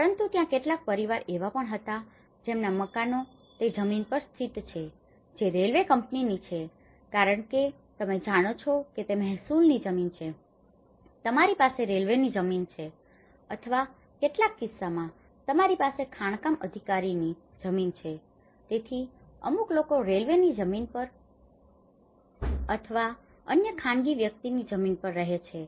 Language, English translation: Gujarati, But, there were also some families whose houses are located on a land that belonged to a railway company because you know, you have the revenue land, you have the railway land or in some cases you have the mining authorities land, so but in this case the people who are residing on the railway land so or to other private individuals